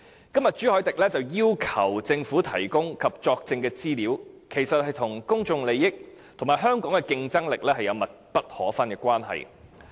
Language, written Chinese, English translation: Cantonese, 今天朱凱廸議員要求政府提供及作證的資料，其實與公眾利益及香港的競爭力有密不可分的關係。, Today Mr CHU Hoi - dick requests the Government to provide information and materials and testify . The information concerned has indeed an unseverable tie with public interest and the competitiveness of Hong Kong